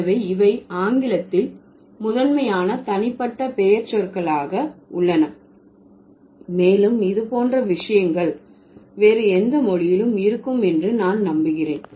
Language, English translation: Tamil, So, these are the major or these are the primary personal, let's say, pronouns in English and I am sure such kind of things would also be there in any other language